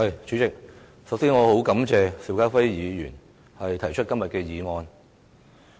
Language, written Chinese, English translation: Cantonese, 主席，首先感謝邵家輝議員提出這項議案。, President first of all I wish to thank Mr SHIU Ka - fai for proposing the motion